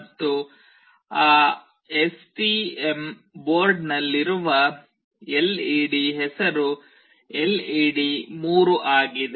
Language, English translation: Kannada, And the name of the LED in that STM board is LED3